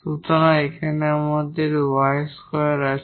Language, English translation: Bengali, So, we have x square